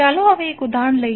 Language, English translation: Gujarati, Now let’s take one example